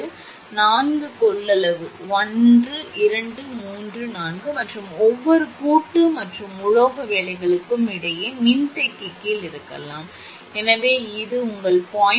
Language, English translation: Tamil, So, four capacitance 1, 2, 3, 4 C, C, C and may under shunt capacitance between each joint and metal work is 10 percent, so that means, your this is your 0